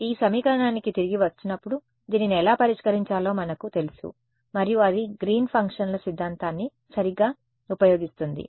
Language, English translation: Telugu, So, coming back to this equation we know how to solve this right and that is using the theory of Green’s functions right